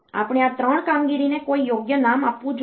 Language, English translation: Gujarati, We should give some proper name to these 3 operations